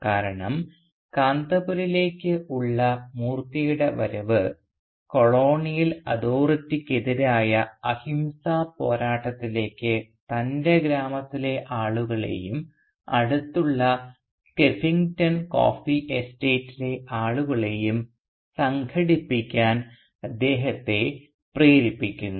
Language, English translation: Malayalam, Because Moorthy’s arrival in Kanthapura leads him to organise the people of his village as well as the nearby Skeffington coffee estate into a non violent struggle against the colonial Authority